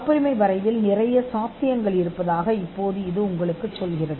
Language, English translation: Tamil, Now this tells you that there is quite a lot of possibility in patent drafting